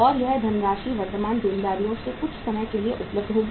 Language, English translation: Hindi, And this much of the funds will be available from the current liabilities over a period of time